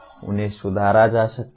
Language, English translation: Hindi, They can be improved